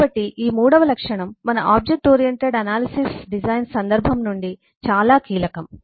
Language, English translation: Telugu, so this third attribute is very critical from our object oriented analysis design context